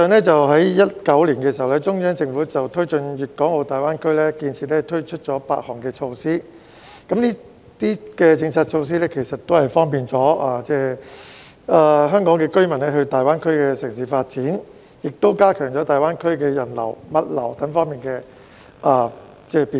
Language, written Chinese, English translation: Cantonese, 在2019年的時候，中央政府就推進粵港澳大灣區建設推出了8項措施，這些政策措施方便了香港居民到大灣區的城市發展，也加強了大灣區的人流、物流等方面的便通。, In 2019 the Central Government launched eight measures to promote the development of the Guangdong - Hong Kong - Macao Greater Bay Area . These policy measures have not just made it easier for Hong Kong residents to pursue personal development in the Greater Bay Area cities but also enhance convenience in such areas as passenger travel and logistics across the Greater Bay Area